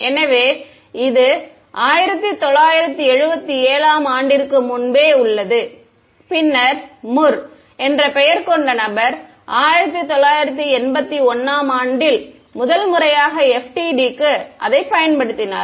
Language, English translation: Tamil, So, this is way back 1977 right and then you had a person by the name of Mur applied it to FDTD for the first time in 1981 ok